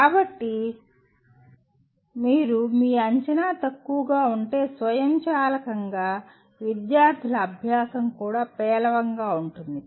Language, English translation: Telugu, So if you, your assessment is poor, automatically the students will, the learning by the students will also be poor